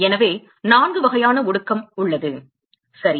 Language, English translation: Tamil, So, there are four types of condensation ok